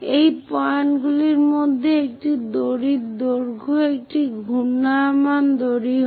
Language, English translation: Bengali, These are the points through which this rope length is a winding rope